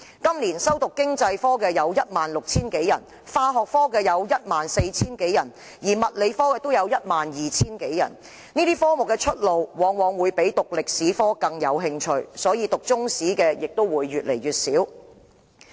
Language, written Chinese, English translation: Cantonese, 今年修讀經濟科有 16,000 多人，化學科有 14,000 多人，而物理科也有 12,000 多人，這些科目的出路往往較歷史科闊，以致修讀中史科的人數越來越少。, This year 16 000 - odd students take Economics as an elective 14 000 - odd students take Chemistry and 12 000 - odd students take Physics . These subjects usually offer better prospects than History . That is the reason why fewer and fewer people take Chinese History as an elective